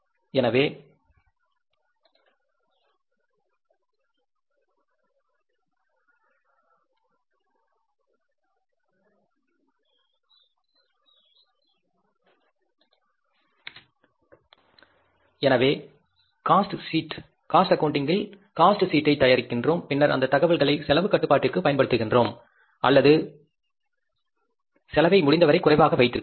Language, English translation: Tamil, So, cost sheet we prepare is under the cost accounting, we prepare this cost sheet and then we use this information and use this information for the cost control or keeping the cost as low as possible